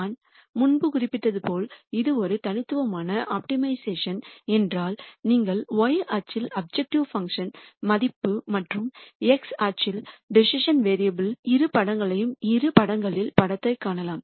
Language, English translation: Tamil, As I mentioned before if it was a univariate optimization, then you could visualize the picture in two dimensions with the y axis being the objective function value and the x axis being the decision variable